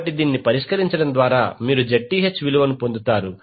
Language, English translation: Telugu, So by solving this you will get the value of Zth